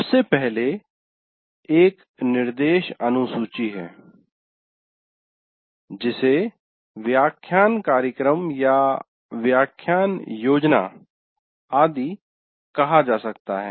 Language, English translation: Hindi, First thing is there is an instruction schedule and which can be called as lecture schedule or lecture plan, whatever you have